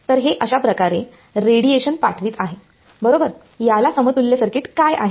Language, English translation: Marathi, So, it is sending out radiation like this, correct what is the circuit equivalent of this